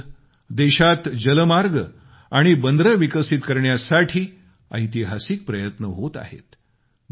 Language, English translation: Marathi, Today there are landmark efforts, being embarked upon for waterways and ports in our country